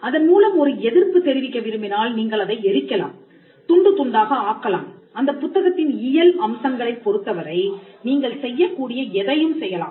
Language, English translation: Tamil, If you want to show it as a way of demonstration you can burn it, you can tear it apart, you can shred it, you could do anything that is possibly you can do when it comes to the physical aspects of the book